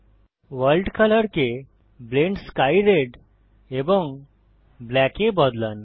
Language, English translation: Bengali, Change world colour to Blend sky Red and black